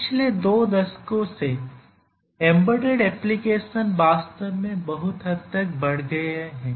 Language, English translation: Hindi, For last two decades or so, the embedded applications have really increased to a great extent